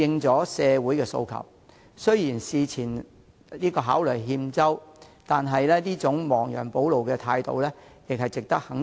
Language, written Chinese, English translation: Cantonese, 政府雖然事前考慮有欠周詳，但這種亡羊補牢的態度始終值得肯定。, Despite the Governments failure to make detailed consideration beforehand its move to make rectification deserves our support